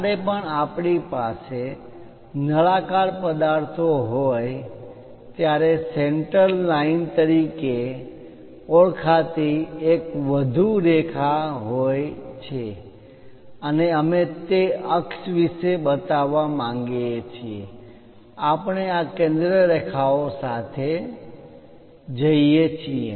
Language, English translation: Gujarati, There is one more line called center line whenever we have cylindrical objects and we would like to show about that axis, we go with these center lines